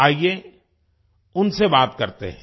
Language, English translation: Hindi, Let's speak to her